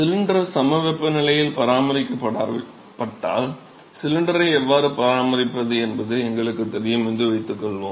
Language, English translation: Tamil, So, suppose if the cylinder is maintained under isothermal conditions let say we know how to maintain the cylinder